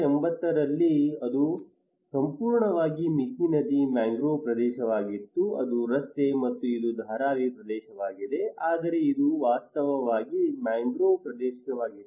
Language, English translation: Kannada, What we found that in 1980 it was a mangrove area totally on Mithi river, that is the road, and this is the Dharavi area, but it was actually a mangrove areas